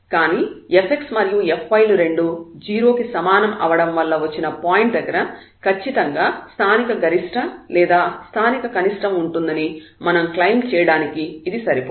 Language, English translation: Telugu, But this is not sufficient to say that yes definitely there will be a if we have a point where f x and f y both are 0 then we cannot claim that at this point certainly there will be a local maximum or local minimum